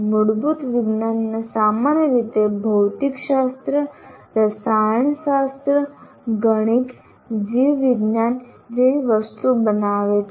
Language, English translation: Gujarati, Basic sciences normally constitute physics, chemistry, mathematics, biology, such things